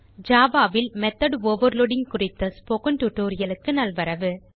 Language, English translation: Tamil, Welcome to the Spoken Tutorial on method overloading in java